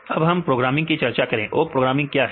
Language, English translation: Hindi, Then we discussed the programming, what is awk programming